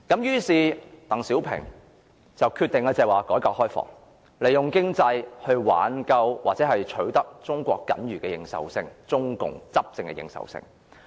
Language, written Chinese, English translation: Cantonese, 於是，鄧小平決定推行改革開放，利用經濟來挽救或取得中共僅餘的執政認受性。, Thus DENG Xiaoping decided to press ahead with reforms and opening - up and made use of the economy to save or secure the remaining if any public recognition of the ruling party